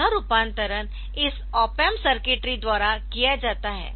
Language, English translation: Hindi, So, that conversion is done by this opamp circuitry